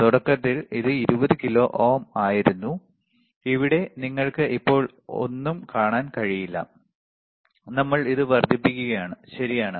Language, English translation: Malayalam, Initially it was 20 kilo ohm, here you cannot see anything so now, we are increasing it, right